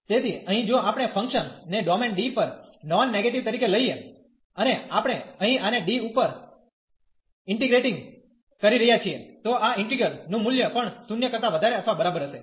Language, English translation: Gujarati, So, here if we take the function as a non negative on the domain D, and we are integrating here this over D, then this value of this integral will be also greater than or equal to 0